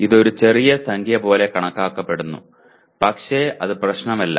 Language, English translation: Malayalam, It looks like a small number but does not matter